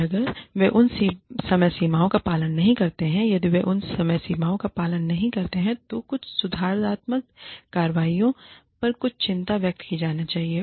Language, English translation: Hindi, And, if they do not follow those deadlines, if they do not adhere to those deadlines, some corrective actions, some concern, should be expressed